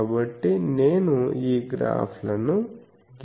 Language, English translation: Telugu, So, I will just these graphs